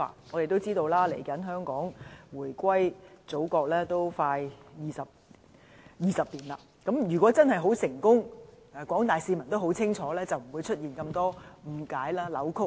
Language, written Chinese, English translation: Cantonese, 大家也知道，香港回歸祖國即將20年了，如果真是很成功和廣大市民也很清楚的話，便不會出現這麼多誤解和扭曲。, As we all know it will soon be 20 years since the reunification of Hong Kong with the Motherland and had the promotional work been really successful and the public understood it so well there would not have been so many misconceptions and distortions